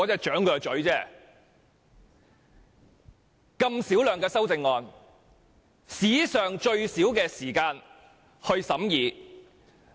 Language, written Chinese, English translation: Cantonese, 處理如此小量的修正案，只須花史上最短的時間審議。, With only a small number of amendments we can finish the deliberation in the shortest period of time in history